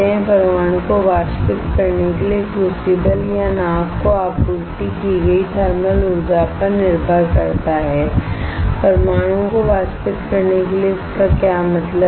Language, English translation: Hindi, It relies on the thermal energy supplied to the crucible or boat to evaporate atoms right, to evaporate atoms what does that mean